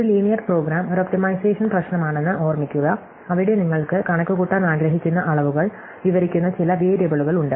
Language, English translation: Malayalam, So, recall that a linear program is an optimization problem, where you have some variables which describe the quantities you want to compute